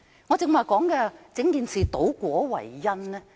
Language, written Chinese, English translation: Cantonese, 為何我說整件事是倒果為因呢？, Why did I say that the whole matter had reversed the cause and the effect?